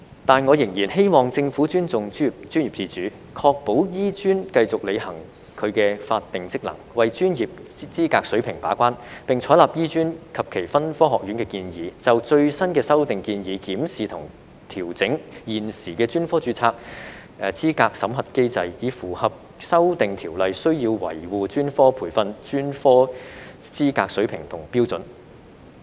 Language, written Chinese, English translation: Cantonese, 但我仍然希望政府尊重專業自主，確保香港醫學專科學院繼續履行其法定職能，為專業資格水平把關，並採納醫專及其分科學院的建議，就最新的修訂建議檢視及調整現時的專科註冊資格審核機制，以符合修訂條例需要維護專科培訓、專科資格水平和標準。, Nevertheless I still hope the Government will respect professional autonomy and ensure that the Hong Kong Academy of Medicine HKAM can continue to perform its statutory functions as the gatekeeper of professional qualifications . The Government should also adopt the recommendations made by HKAMs constituent colleges to review and adjust the vetting mechanism of the qualifications for specialist registration based on the latest proposed amendments so that the amended ordinance will be able to maintain professional training professional qualifications and standards